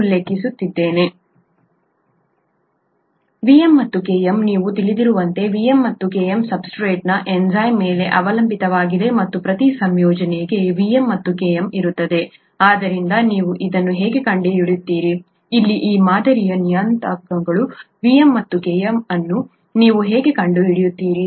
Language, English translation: Kannada, To find out, Vm and Km, as you can realise Vm and Km will be dependent on the enzyme of the substrate and for each combination there will be a Vm and a Km, so how do you find that out, how do you find out these model parameters here, Vm and Km